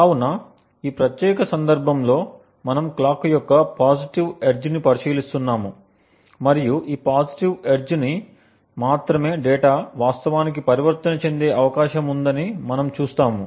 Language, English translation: Telugu, So, in this particular case we are considering the positive edge of the clock and we see that only on this positive edge it is likely that the data actually transitions